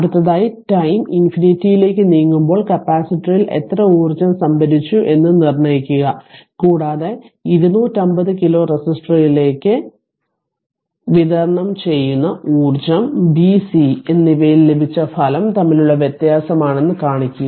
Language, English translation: Malayalam, Next is determine how much energy stored in the capacitor and t tends to infinity and so that ah the stored energy delivered to that 250 kilo resistor is the difference between the result obtained in b and c